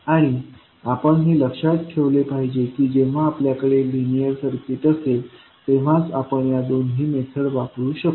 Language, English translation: Marathi, And we have to keep in mind that these two methods will only be applicable when you have the linear circuit